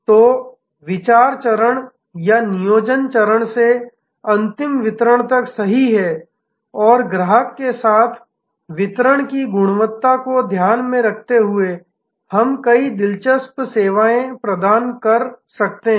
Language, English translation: Hindi, So, right from the idea stage or planning stage to the final delivery and sensing the quality of delivery along with the customer, we can create many interesting new services